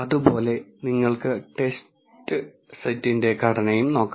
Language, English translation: Malayalam, Similarly you can also look at the structure of the test set